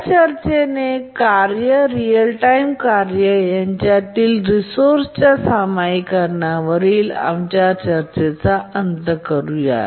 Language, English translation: Marathi, Now with that discussion, let's conclude our discussions on resource sharing among tasks, real time tasks